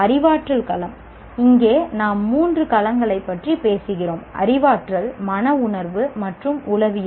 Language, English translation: Tamil, The cognitive domain, here we are talking of three domains, cognitive, affective and psychomotor